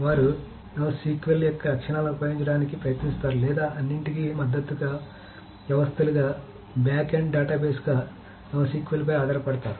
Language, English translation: Telugu, So they try to use the properties of NoSQL or do rely on NoSQL as the backend database as the support systems for all of that